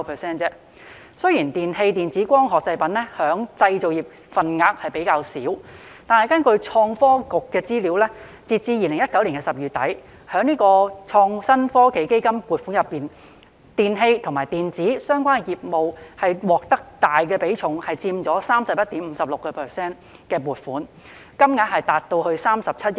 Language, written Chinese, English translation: Cantonese, 雖然"電器、電子及光學製品"在製造業中佔份額較少，但根據創科局的資料，截至2019年10月底，在創新及科技基金的撥款中，"電氣及電子"相關業務獲得大比重的撥款，佔 31.56%， 金額達至37億元。, Despite the smaller share of electrical electronic and optical products in the manufacturing sector according to the information of ITB as at the end of October 2019 electrical and electronic related businesses received a large proportion of ITF funding accounting for 31.56 % or 3.7 billion